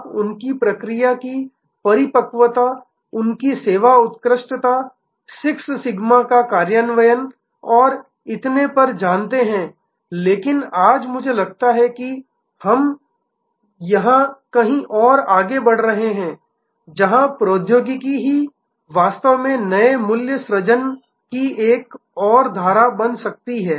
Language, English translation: Hindi, You know their process maturity, their service excellence, implementation of 6 sigma and so on, but today I think we are moving somewhere here, where technology itself can actually create another stream of new value creation